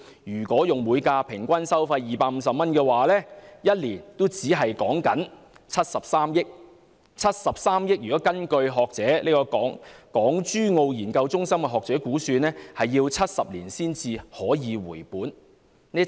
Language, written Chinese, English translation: Cantonese, 如果以每架次平均收費250元計算，一年只有73億元，而據有關港珠澳研究中心的學者估算，我們需要70年才能回本。, According to the average toll of 250 per vehicle it will only generate 7.3 billion in a year . Based on the calculation of the academics of a research centre studying issues related to Hong Kong Zhuhai and Macao it will take 70 years for Hong Kong to recover the cost